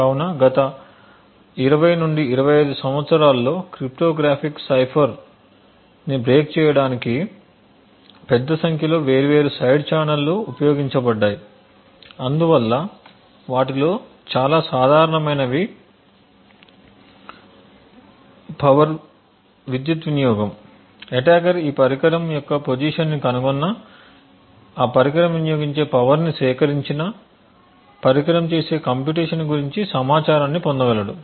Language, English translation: Telugu, So over the last 20 to 25 years there have been a large number of different side channel that have been used to break cryptographic ciphers so most common ones of them are power consumptions that is an attacker if he has position of this particular device or is able to gather the power consumed by that device then the attacker would be able to gain information about the computations that the device performs